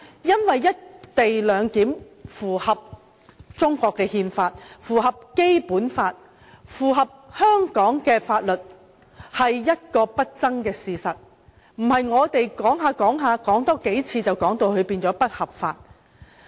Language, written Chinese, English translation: Cantonese, "一地兩檢"符合中國憲法、符合《基本法》及符合香港法律，這是不爭事實，並非我們多說數遍，它就會變成不合法。, The co - location arrangement complies with the Constitution of China the Basic Law and the laws in Hong Kong . This is indisputable . Its legitimacy will not become otherwise after a few rounds of discussion